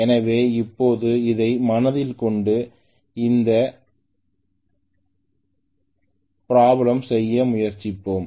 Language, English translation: Tamil, So now with this in mind let us try to do this problem